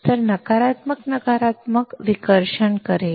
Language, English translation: Marathi, So, negative negative will cause repulsion